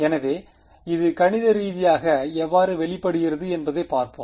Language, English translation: Tamil, So, let us let us let us look at how this manifests mathematically